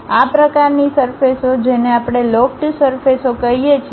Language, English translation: Gujarati, That kind of surfaces what we call lofted surfaces